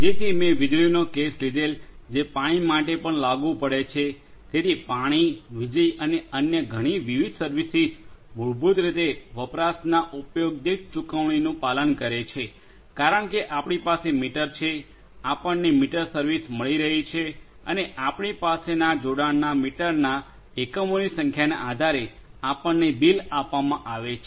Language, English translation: Gujarati, So, I took the case I took the case of electricity the same applies for water as well, so water, electricity and many different other services basically follow the pay per use model because we have meter, we are getting meter service and we will be billed based on the number of units of the meters of conjunction that we will have for each of these utility